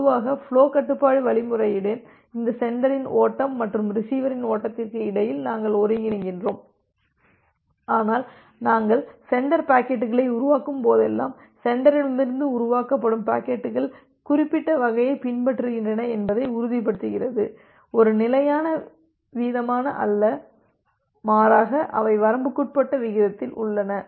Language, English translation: Tamil, Normally with the flow control algorithm, we coordinate between these sender flow and receiver flow but whenever we are generating the sender packets you also want to ensure that the packets which are being generated from the sender they follow certain kind of I will not say it is a constant rate rather they are in within a bounded rate